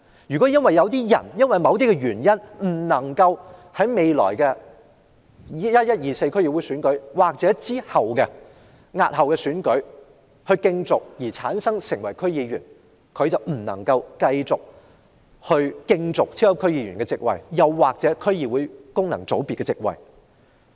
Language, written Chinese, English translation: Cantonese, 如果有人因為某些原因而未能在11月24日的區議會選舉或押後的選舉中競逐成為區議員，他便不能夠繼續競逐超級區議員或區議會功能界別的席位。, If for some reasons a person fails to stand in the DC Election held on 24 November or a later date he will lose his eligibility for super DC seats or the District Council First FC seat